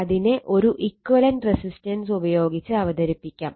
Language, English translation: Malayalam, So, it can be represented by an equivalent resistance, right